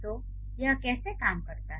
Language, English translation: Hindi, So, that's how it works